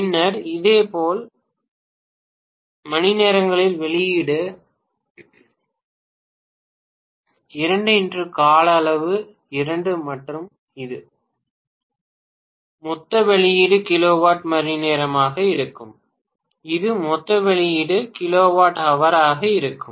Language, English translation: Tamil, Then similarly output 2 multiplied by duration 2 and so on, this will be the total output kilowatt hour, that will be the total output kilowatt hour, right